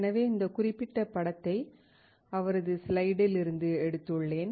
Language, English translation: Tamil, So, I have taken this particular image from his slide